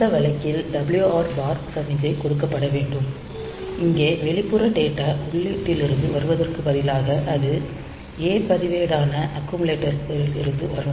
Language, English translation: Tamil, So, in that case WR bar signal should be given and here instead of coming from external data input it will be from the A register the accumulator